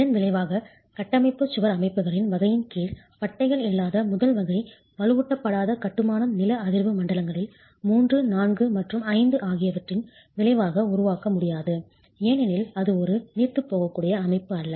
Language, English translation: Tamil, As a consequence under the category of structural wall systems, the first category unreinforced masonry without bands cannot be constructed in seismic zones 3, 4 and 5 as a consequence because it is not a ductile system at all